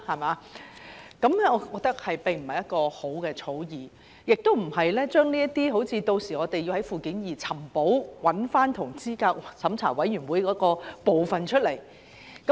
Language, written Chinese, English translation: Cantonese, 我覺得這並非一項好的草擬條文，我們屆時可能需要在附件二"尋寶"，找出有關資審會的部分。, I think this draft provision is not in order as we may need to embark on a treasure hunt in Annex II to look for sections pertinent to CERC